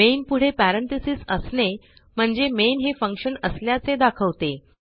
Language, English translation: Marathi, Parenthesis followed by main tells the user that main is a function